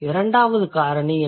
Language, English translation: Tamil, And what are the two factors